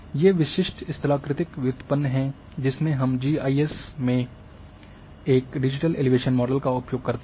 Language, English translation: Hindi, These are the typical topographic derivative which we drive from using a digital elevation model in GIS